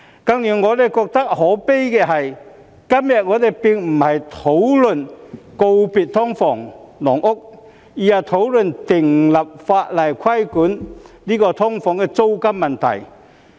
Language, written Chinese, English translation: Cantonese, 更加令我覺得可悲的是，今日我們並不是討論如何告別"劏房"、"籠屋"，而是討論訂立法例規管"劏房"的租金問題。, What even makes me feel lamentable is that we are not discussing how to bid farewell to SDUs and caged homes but the enactment of legislation for regulating the rentals of SDUs instead